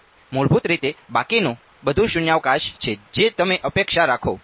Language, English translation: Gujarati, Now, by default everything else is vacuum that is what you would expect ok